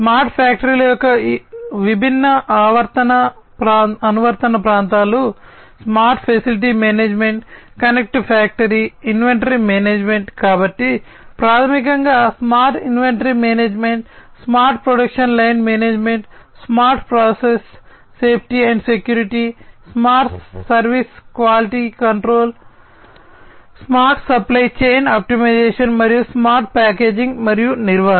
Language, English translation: Telugu, And the different application areas for the smart factories are smart facility management, connected factory, inventory management, so basically smart inventory management, smart production line management, smart process safety and security, smart service quality control, smart supply chain optimization, and smart packaging and management